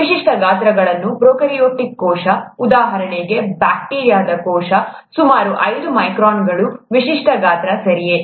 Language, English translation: Kannada, The typical sizes, a prokaryotic cell; for example, a bacterial cell, is about five microns, typical size, okay